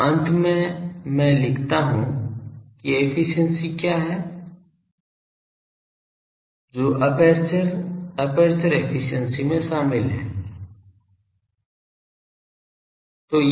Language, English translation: Hindi, So finally, I write that what are the efficiencies that is involved in the aperture, aperture efficiency